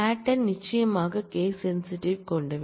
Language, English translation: Tamil, Patterns are certainly case sensitive